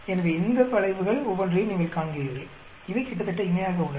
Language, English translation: Tamil, So, you see each one of these curves, these are almost parallel